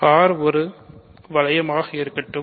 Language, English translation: Tamil, So, let R be a ring